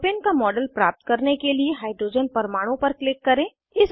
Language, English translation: Hindi, Click on the hydrogen atom to get a model of Propane